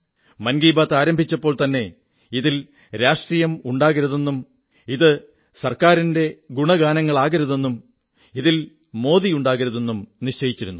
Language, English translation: Malayalam, When 'Mann Ki Baat' commenced, I had firmly decided that it would carry nothing political, or any praise for the Government, nor Modi for that matter anywhere